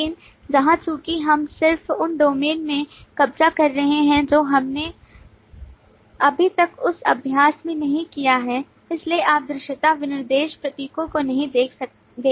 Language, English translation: Hindi, but here, since we are just capturing from the domain, we have not yet done that exercise, so you do not see the visibility specification symbols